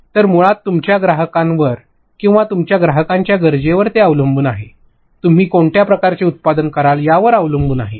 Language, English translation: Marathi, So, basically depending upon your client or your client requirement that is better, it depends what kind of product you will be making